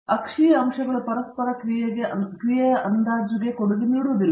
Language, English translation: Kannada, The axial points do not contribute to the estimation of the interaction effects